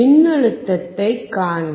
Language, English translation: Tamil, See the voltage